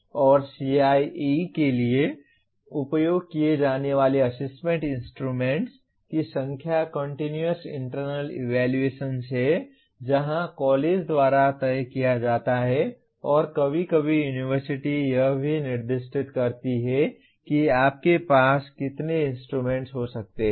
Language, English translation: Hindi, And the number of Assessment Instruments used for CIE that is Continuous Internal Evaluation where it is decided by the college and sometimes even the university specifies even this, how many instruments you can have